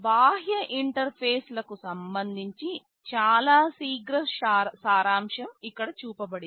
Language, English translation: Telugu, Regarding the external interfaces a very quick summary is shown here